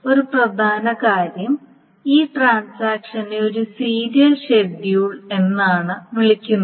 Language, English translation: Malayalam, Now one important thing is that this transaction is called a serial schedule